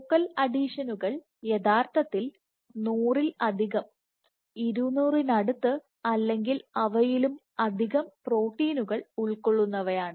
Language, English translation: Malayalam, So, focal adhesions are composed of more than hundred proteins actually close to 200 or even more